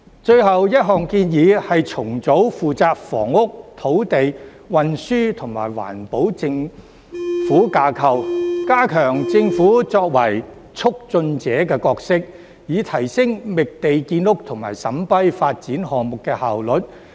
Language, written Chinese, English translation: Cantonese, 最後一項建議是重組負責房屋、土地、運輸及環保的政府架構，加強政府作為"促進者"的角色，以提升覓地建屋及審批發展項目的效率。, The last proposal is to reorganize the government structure responsible for housing land transport and environmental protection and strengthen the Governments role as a facilitator so as to enhance the efficiency in identifying sites for housing construction and in vetting and approving development projects